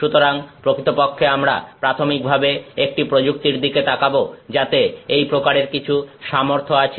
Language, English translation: Bengali, So, actually, in fact, we did look at one technique earlier which had some capability of this nature